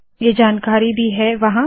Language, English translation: Hindi, This information is also there